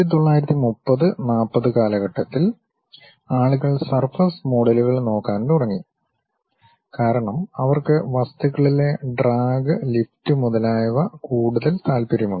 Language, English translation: Malayalam, Then around 1930's, 40's people started looking at something named surface models, because they are more interested about knowing drag, lift on the objects